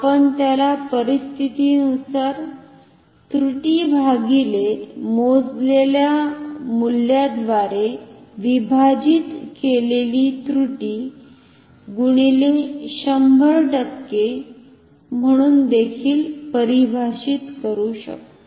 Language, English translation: Marathi, We can also define it as error divided by the measured value depending on the situation into 100 percent